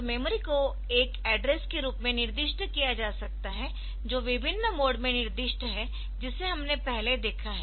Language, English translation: Hindi, So, memory can be specified it is a address specified in different modes that we have seen previously